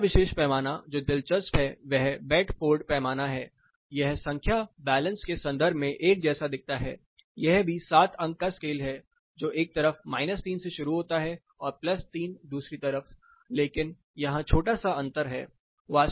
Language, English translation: Hindi, The next particular scale which is interesting is the Bedford scale, this looks alike in terms of the number, in terms of the balance it is also 7 point scale starting from 0 minus 3, one side and plus 3 in the other side, but there is small difference